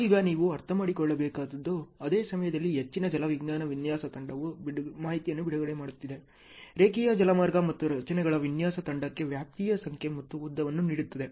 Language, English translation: Kannada, Now that is how you have to understand that, at the same time high hydrology design team is releasing information; linear waterway and number and length of the spans to structures design team